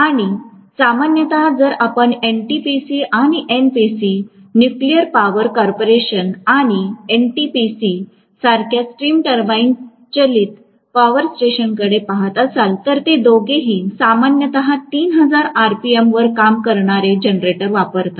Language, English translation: Marathi, And generally, if we are looking at the stream turbine driven power station like NTPC or NPC – Nuclear Power Corporation and NTPC, both of them generally use the generators which work at 3000 rpm